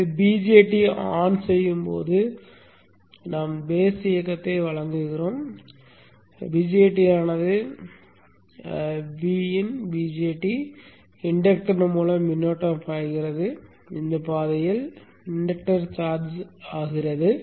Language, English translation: Tamil, So when the BJAT is on we give the base drive, BJT is on, the current flows through VN, BJAT, inductor, charging of the induuctor in this path